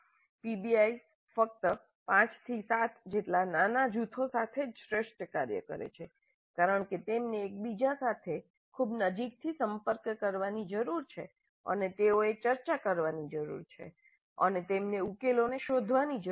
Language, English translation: Gujarati, PBI works best only with small groups about 5 to 7 because they need to interact very closely with each other and they need to discuss and they need to refine the solution